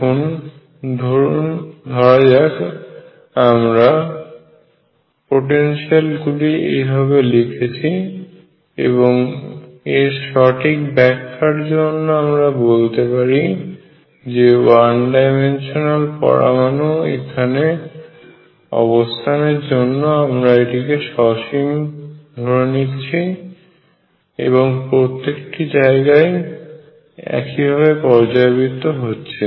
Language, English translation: Bengali, So, let me make that potential like this and let us say for proper description I make it finite at the position of the one dimensional atom and this repeats is the same everywhere